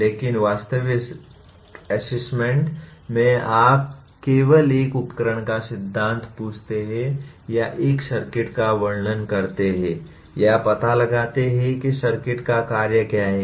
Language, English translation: Hindi, But in actual assessment you only ask the theory of a device or describe a circuit or find out what is the function of the circuit